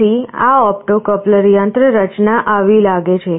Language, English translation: Gujarati, So, this opto coupler mechanism looks like this